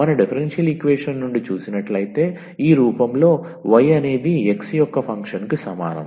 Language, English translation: Telugu, So, if we get out of our differential equation are the solution in this form that y is equal to function of x